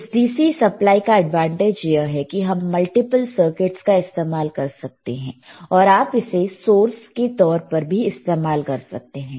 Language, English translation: Hindi, aAdvantage of this DC power supply is that we can use multiple circuits, and you can use this as a source, you can use this as a source, that is the advantage ok